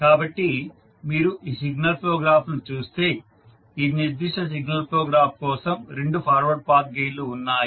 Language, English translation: Telugu, So, if you see this particular signal flow graph there are 2 forward Path gains for the particular signal flow graph